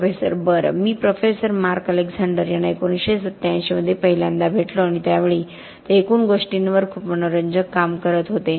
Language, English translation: Marathi, Professor: Well, I first met Professor Mark Alexander in 1987 and at that time he was doing a lot of interesting work on aggregates